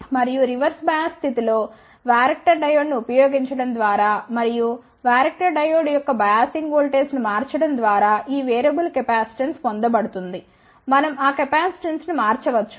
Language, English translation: Telugu, And this variable capacitance is obtained by using a varactor diode in the reverse bias condition and by changing the biasing voltage of the varactor diode 1 can vary the capacitance